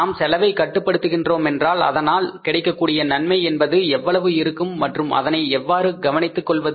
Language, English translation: Tamil, If we reduce the cost, how much benefit we are going to have out of that reduced cost and how to take care of that